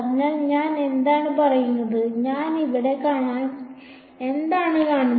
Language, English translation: Malayalam, So, what am I saying what am I sort of seeing over here